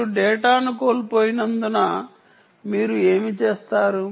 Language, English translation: Telugu, loss of data because you lost data